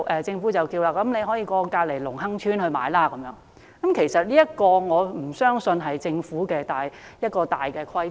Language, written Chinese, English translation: Cantonese, 政府說他們可以到鄰近的隆亨邨購物，但我不相信這是政府的大原則。, The Government said people could go shopping in the nearby Lung Hang Estate but I cannot believe this is a general principle adopted by the Government